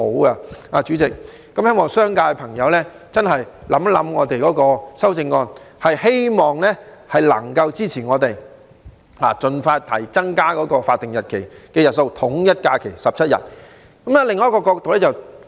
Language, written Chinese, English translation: Cantonese, 代理主席，希望商界的朋友真的考慮我們提出的修正案，並給予支持，盡快增加法定假日的日數，統一假期為17日。, Deputy President I hope that Members of the business sector will seriously consider and support the amendments we have proposed to increase SHs to 17 days so as to align with GHs as soon as possible